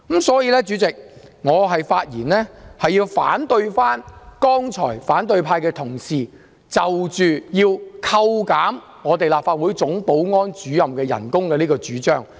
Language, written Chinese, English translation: Cantonese, 所以，代理主席，我發言反對剛才反對派議員要求削減立法會總保安主任薪酬的主張。, Therefore Deputy Chairman I speak in opposition to the proposal put forward by Members of the opposition camp just now to cut the emoluments for the Chief Security Officer of the Legislative Council Secretariat